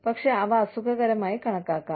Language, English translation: Malayalam, But, they can be considered as, uncomfortable